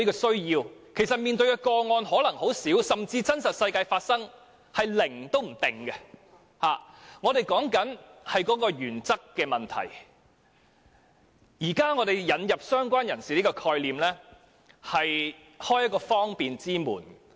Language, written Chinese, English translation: Cantonese, 雖然要處理的個案可能很少，甚至在真實世界中發生的個案數字可能是零，但我們討論的是原則問題，而現時引入"相關人士"的概念，便是想開一道方便之門。, Although there may be very few cases which need to be handled and the number of such cases happening in the real world may even be zero what we are discussing is a matter of principle . The concept of related person is now introduced to open a door of convenience